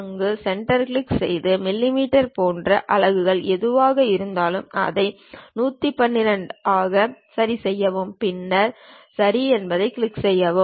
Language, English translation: Tamil, Click go there, adjust it to 112 whatever the units like millimeters, then click Ok